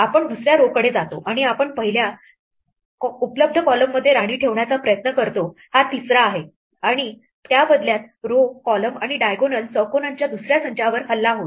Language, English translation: Marathi, We move to the second row and we try to put a queen in the first available column this is the third one and this in turn will attack another set of rows, columns and diagonal squares